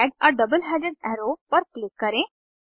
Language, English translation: Hindi, Click on Add a double headed arrow